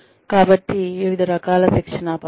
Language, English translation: Telugu, So, various types of training methods